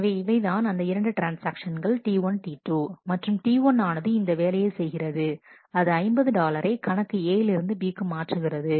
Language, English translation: Tamil, So, this is a the two transactions T 1, T 2 the transaction T 1 does this operation it transfers 50 dollar from account B to account A